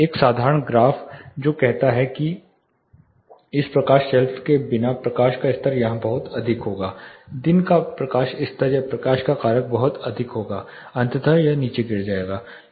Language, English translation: Hindi, A simple graph which says without this light shelf the light level will be very high here daylight level or light factor relates factor would be very high, eventually it will drop down